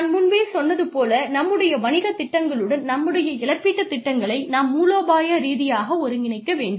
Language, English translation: Tamil, So, this is how, you strategically integrate the compensation plans, with your business plans